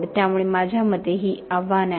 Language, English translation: Marathi, So these are the challenges I think